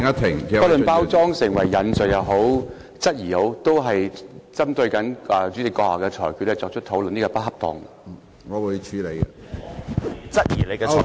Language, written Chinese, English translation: Cantonese, 不論包裝成為引述也好，質疑也好，針對主席的裁決作出討論是不恰當的。, It does not matter whether a comment has been packaged as a quotation or a question it is inappropriate to discuss the Presidents ruling